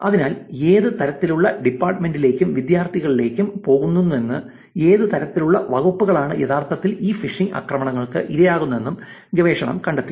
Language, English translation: Malayalam, So, this is way by which research is actually found, which kind of department and the students going to which kind of departments are actually vulnerable to these phishing attacks